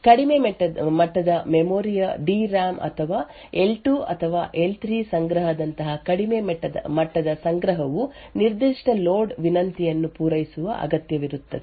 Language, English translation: Kannada, The lower levels of memory either the DRAM or lower levels of the cache like the L2 or the L3 cache would require to service that particular load request